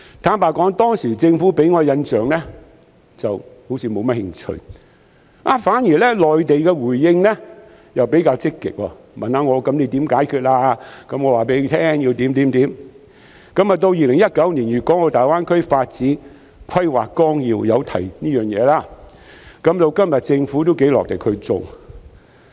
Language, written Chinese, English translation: Cantonese, 坦白說，當時政府給我的印象好像是沒有太大興趣，反而是內地的回應比較積極，問我可以怎樣解決某些問題，我便告訴他們應該怎樣做；直到2019年的《粵港澳大灣區發展規劃綱要》提到這件事，政府今天亦頗努力去做。, Frankly speaking back then the Government gave me an impression that it was not much interested whereas the response from the Mainland was more proactive . They solicited my views on how to resolve certain problems and I told them what should be done . And then in 2019 this issue was mentioned in the Outline Development Plan for the Guangdong - Hong Kong - Macao Greater Bay Area and today the Government is also working rather hard in this aspect